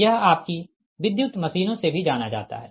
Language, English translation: Hindi, this is also known to you from the, your electrical machines